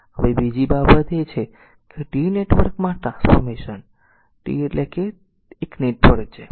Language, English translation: Gujarati, Now another thing is the transform the T network T means it is a it is a star network right